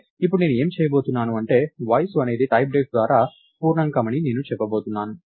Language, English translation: Telugu, But then, now what I am going to do is, I am going to say Age is typedef to be an integer